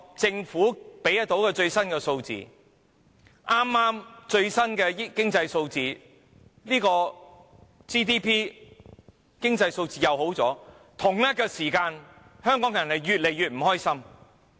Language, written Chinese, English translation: Cantonese, 政府公布的最新經濟數字顯示 GDP 有所增長，但為何同一時間，香港人卻越來越不快樂？, The latest economic figures released by the Government show a growth in GDP but why are Hong Kong people increasingly unhappy at the same time?